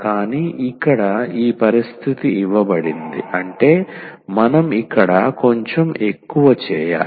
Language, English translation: Telugu, But here this condition is given; that means, we have to do little more here